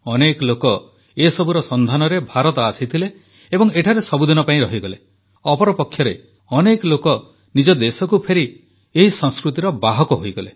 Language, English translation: Odia, Many people came to India to discover & study them & stayed back for ever, whereas some of them returned to their respective countries as carriers of this culture